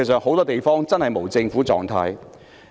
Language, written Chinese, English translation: Cantonese, 很多地方現時真的處於無政府狀態。, At present many places are honestly in a state without government